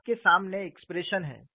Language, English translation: Hindi, You have the expressions before you